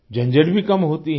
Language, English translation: Hindi, The hassle is also less